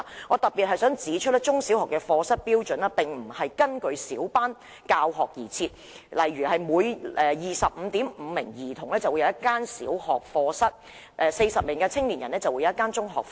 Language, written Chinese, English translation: Cantonese, 我想特別指出，中小學課室的標準並不是根據小班教學而訂定的，例如每 25.5 名學童便有一個小學課室，而每40名青少年便有一個中學課室。, I would like to point out in particular that the standards for provision of classrooms in primary and secondary schools do not cater for small class teaching for example 1 primary school classroom per 25.5 students and 1 secondary school classroom per 40 adolescents